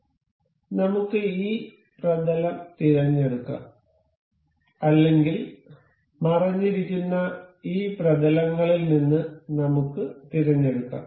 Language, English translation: Malayalam, So, let us select this plane or maybe we can select from this hidden planes